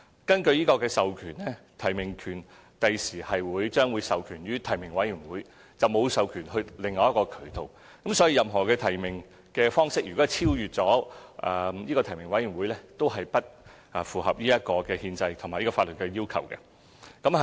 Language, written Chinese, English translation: Cantonese, 根據授權，提名權將來會授權予提名委員會，而並沒有授權予其他渠道，所以任何提名方式如超越提名委員會，都是不符合憲制及法律要求。, In accordance with the power delegated by the State the right to nomination will be given to the nominating committee not any other entities . That means any method of nomination which deviates from the nominating committee will not be in compliance with the requirements of the Constitution of PRC and the laws